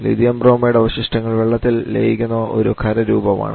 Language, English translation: Malayalam, Lithium Bromide remains solid that just get dissolved in the water